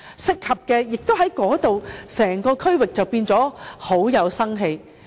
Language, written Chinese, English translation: Cantonese, 這樣，整個區域便會變得很有生氣。, In such a way the entire area will become very lively